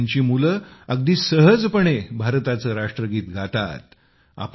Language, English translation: Marathi, Today, his children sing the national anthem of India with great ease